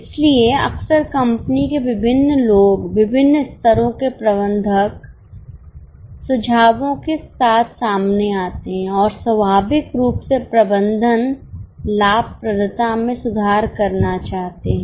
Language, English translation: Hindi, So, often different people in the company, different levels of managers come out with suggestions and naturally management wants to improve profitability